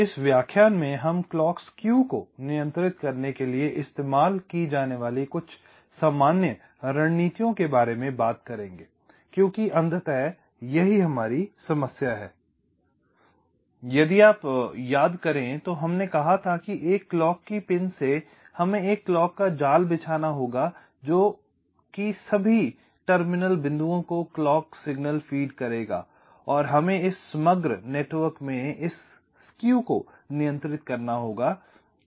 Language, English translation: Hindi, so in this lecture we shall be talking about some general strategies used to control the clock skew, because ultimately our problem, if you recall, we said that from a clock pin we have to layout a clock net which will be feeding the clock signal to all the terminal points and we have to control this skew in this overall network